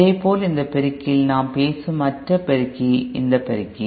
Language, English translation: Tamil, Similarly, in this amplifier, the other amplifier that we are talking about, this amplifier